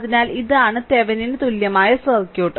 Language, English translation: Malayalam, So, this is the Thevenin equivalent, Thevenin equivalent circuit